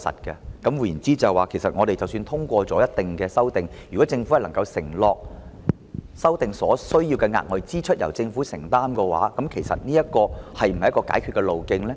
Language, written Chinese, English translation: Cantonese, 換言之，即使我們通過一定修訂，如果政府能夠承諾，修訂所需要的額外支出由政府承擔，其實這是否一個解決的路徑呢？, In other words if we pass certain amendments and the Government undertakes to shoulder the additional expenses arising from the amendments will this be a solution?